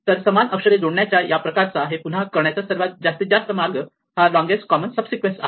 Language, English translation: Marathi, So, this kind of paring up equal letters, the maximum way in which again to do this is a longest common subsequence